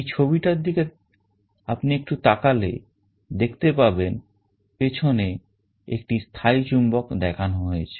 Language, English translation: Bengali, Just looking into the diagram you see here the permanent magnet is shown in the back this is the permanent magnet